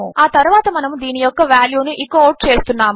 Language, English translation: Telugu, And then we will echo out the value of this